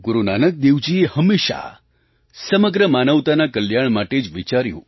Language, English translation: Gujarati, Guru Nanak Dev Ji always envisaged the welfare of entire humanity